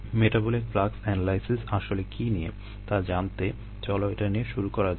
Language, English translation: Bengali, to know what metabolic flux analysisall about, let us start with this